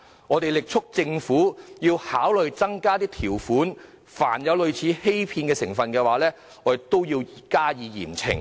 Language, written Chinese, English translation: Cantonese, 我們力促政府考慮增加條款，凡有類似欺騙成分，便應嚴懲。, We strongly urge the Government to consider imposing additional terms . Severe punishment should be imposed whenever there is any element similar to deception